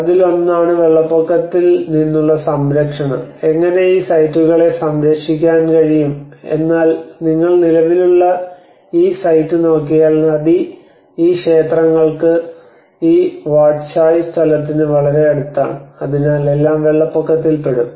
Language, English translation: Malayalam, One is the protection from flooding, how we can protect this sites but if you look at this existing site if the river is just these temples have this Wat Chai place is just near to the so it all the whole thing gets flooded